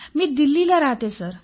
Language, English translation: Marathi, I belong to Delhi sir